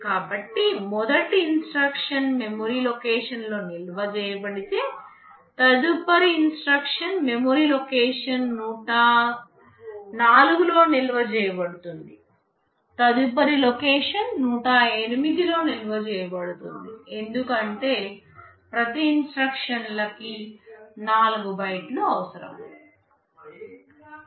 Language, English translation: Telugu, So, if the first instruction is stored in memory location 100 the next instruction will be stored in memory location 104, next location will be stored in location 108, because each instruction will be requiring 4 bytes